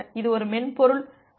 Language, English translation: Tamil, It is a software buffer